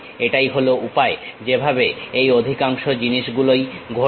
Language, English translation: Bengali, This is the way most of these things happen